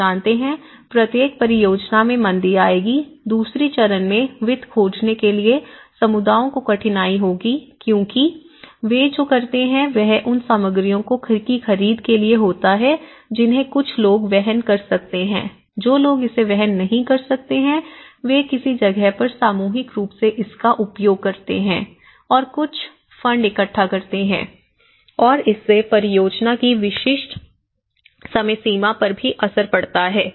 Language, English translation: Hindi, You know, every project will have its downturns, difficulty for communities for finding finances in the stage two because what they do is in order to procure the materials some people are able to afford some people may not and then they used to collectively do someplace or shows to gather some funds and that has also has an impact on the specific deadlines of the project